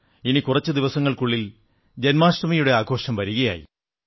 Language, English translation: Malayalam, In a few days from now, we shall celebrate the festive occasion of Janmashtami